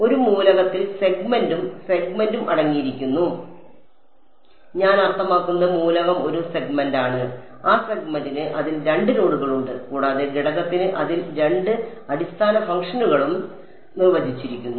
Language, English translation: Malayalam, An element consists of the segment and the segment I mean element is a segment and that segment has 2 nodes on it and the element also has two basis functions defined on it